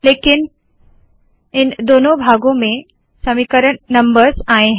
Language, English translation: Hindi, Unfortunately we have equation numbers in both parts